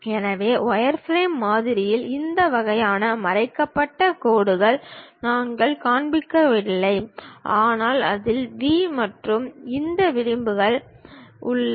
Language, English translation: Tamil, So, in wireframe model we do not show this kind of hidden lines, but it contains vertices V and these edges